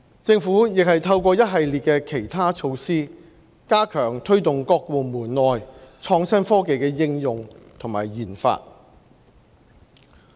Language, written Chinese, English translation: Cantonese, 政府亦透過一系列其他措施，加強推動各部門內創新科技的應用和研發。, Meanwhile the Government is stepping up the application research and development of innovation and technology in various departments with a series of other measures